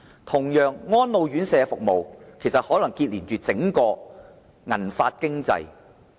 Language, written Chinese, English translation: Cantonese, 同樣，安老院舍服務可能連結着整個銀髮經濟。, By the same token services of elderly homes may link up the silver hair economy as a whole